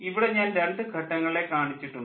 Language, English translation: Malayalam, here i have shown two stages